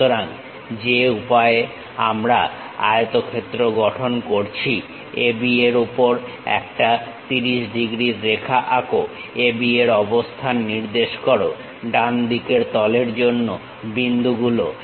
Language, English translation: Bengali, So, the way how we have constructed rectangle AB, draw a 30 degrees line on that locate AB points for the right face now from B perpendicular line